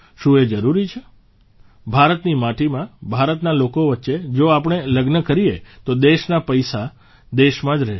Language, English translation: Gujarati, If we celebrate the festivities of marriages on Indian soil, amid the people of India, the country's money will remain in the country